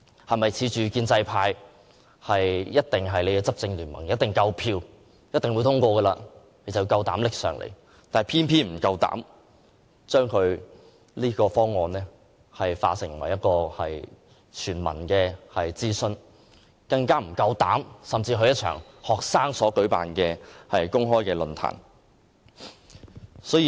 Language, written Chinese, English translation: Cantonese, 它是否恃着有建制派作為其執政聯盟，一定有足夠票數獲得通過，因此便膽敢提交立法會，卻偏沒勇氣就這方案進行全民諮詢，更沒勇氣出席任何一場由學生舉辦的公開論壇呢？, Is it because the Government is backed up by the governance coalition established with the pro - establishment camp and is confident of securing enough votes to have its motion passed that it dares to introduce it into the Legislative Council? . Yet it does not even have the courage to consult all Hong Kong people on its proposal and attend a single forum organized by our students